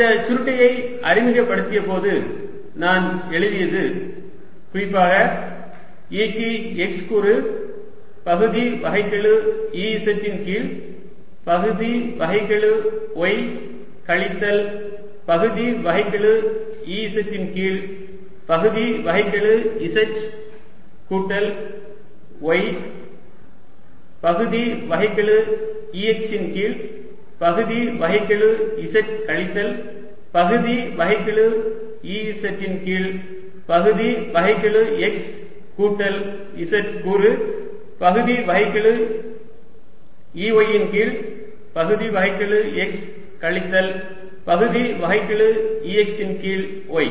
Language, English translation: Tamil, i had written when i had introduced this curl of that's again a specialized to e as x component partial e z over partial y minus partial, e, y over partial z, z plus y component being partial with respect to z of e, x minus partial e z, partial x plus z component being partial e y partial x minus e x e y